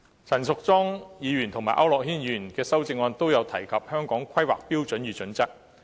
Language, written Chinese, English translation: Cantonese, 陳淑莊議員和區諾軒議員的修正案皆提及《香港規劃標準與準則》。, The respective amendments of Ms Tanya CHAN and Mr AU Nok - hin talk about the Hong Kong Planning Standards and Guidelines HKPSG